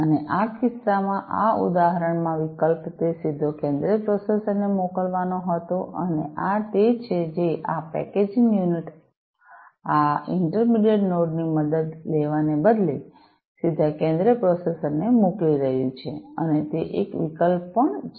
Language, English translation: Gujarati, And in this case, in this example the alternative was to send it directly to the central processor, and this is what this packaging unit is doing sending it directly to the central processor instead of taking help of this intermediate node and that is also an alternative right